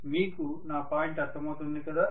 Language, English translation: Telugu, Are you getting my point